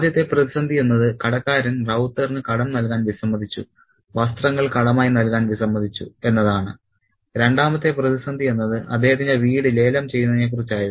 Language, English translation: Malayalam, The first crisis was about the shopkeeper's refusal to give credit, clothes on credit to Rauter, and the second crisis was about the auctioning of his house